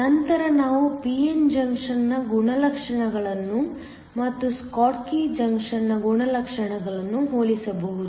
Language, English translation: Kannada, Later, we can compare the properties of a p n junction and that of a schottky junction